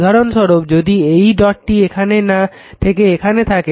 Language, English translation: Bengali, Similarly if you put the dot is here and dot is here